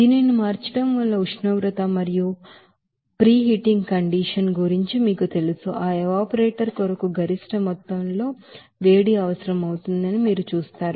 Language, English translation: Telugu, So before you know that just changing this you know temperature condition and also preheating condition you will see that maximum amount of heat is required for that evaporator